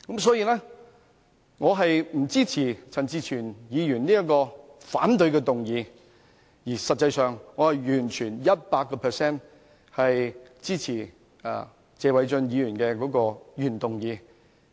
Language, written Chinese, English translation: Cantonese, 所以，我不支持陳志全議員的反對議案，而實際上，我完全百分百支持謝偉俊議員的原議案。, For this reason I do not support the motion of dissent of Mr CHAN Chi - chuen but in fact I fully support the original motion of Mr Paul TSE